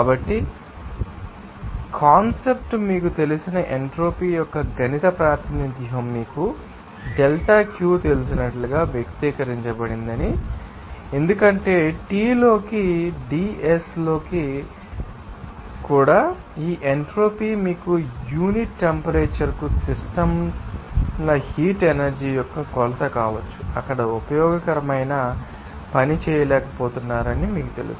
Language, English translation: Telugu, So, as part the saw you know concept the mathematical representation of this you know entropy can be you know expressed as you know delta Q because to T into ds also this entropy can be a you know measure of systems thermal energy per unit temperature that is, you know unable for doing useful work there